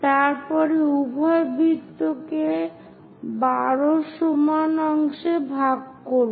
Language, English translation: Bengali, After that, divide both the circles into 12 equal parts